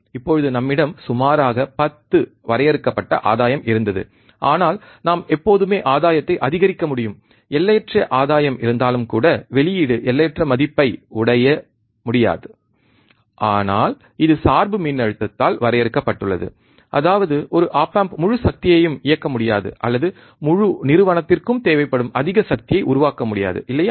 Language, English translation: Tamil, Now we had a gain which is limited about 10, but we can always increase the gain, even there is infinite gain, the output cannot reach to infinite value, but it is limited by the bias voltage; that means, that one op amp cannot run the whole power or cannot generate much power that whole institute requires, right